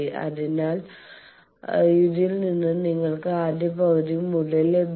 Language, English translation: Malayalam, So, from this you get the first half value